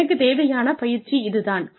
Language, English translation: Tamil, This is the training, I will need